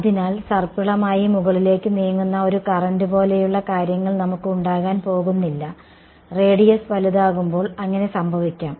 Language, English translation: Malayalam, So, we are not going to have things like a current that is spiraling and moving up right, that may happen as the radius becomes bigger then as happening